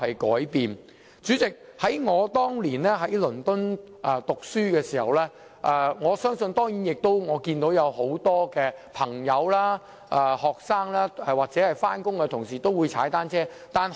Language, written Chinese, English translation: Cantonese, 代理主席，當年我在倫敦讀書時，我看到很多朋友、學生或上班人士也會踏單車。, Deputy President back then when I was studying in London I saw many of my friends students and office workers ride bicycles